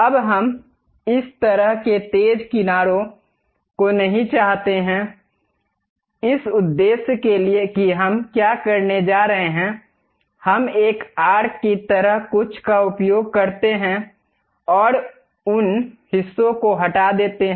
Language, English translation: Hindi, Now, we do not want this kind of sharp edges; for that purpose what we are going to do is, we use something like a arc and remove those portions